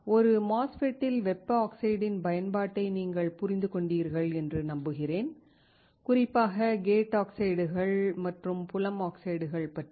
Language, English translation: Tamil, I hope that you understood the application of the thermal oxide in a MOSFET; particularly gate oxides and field oxides